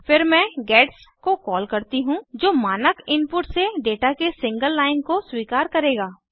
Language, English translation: Hindi, Then I call a gets, which will accept a single line of data from the standard input